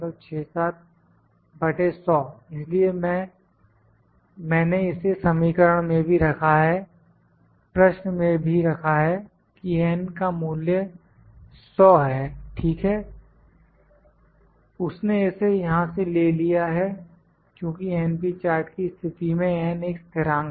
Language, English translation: Hindi, So, I have putted in the equation as well in the question as well that the value of n is 100, ok, he is pick it from the because n is constant in case of np charts